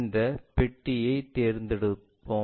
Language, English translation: Tamil, Let us pick this box